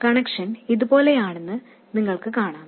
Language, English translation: Malayalam, You can see that the connection looks something like this